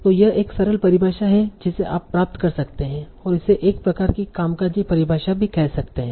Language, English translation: Hindi, So this is a simple definition that you can that this is a sort of working definition we will say